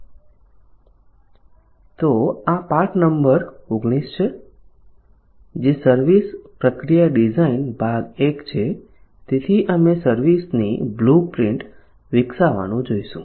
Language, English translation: Gujarati, so this is lesson number 19 which is designing the service process part 1 so we will look at developing the services blueprint